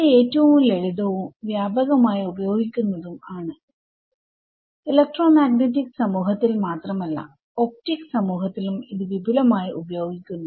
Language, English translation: Malayalam, So, it is the simplest and also the most what can we say, most widely used not just in the electromagnetics community, but even in the optics community this method is used extensively ok